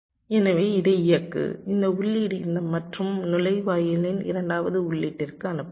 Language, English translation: Tamil, so this enable, this input can be feeding the second input of this and gate, lets say so